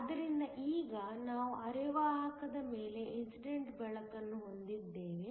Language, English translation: Kannada, So now, we have light that is incident on the semi conductor